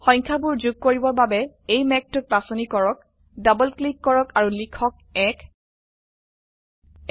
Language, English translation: Assamese, To insert the numbers, lets select this cloud, double click and type 1